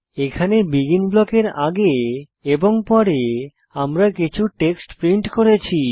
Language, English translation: Bengali, Here, we have printed some text before and after BEGIN blocks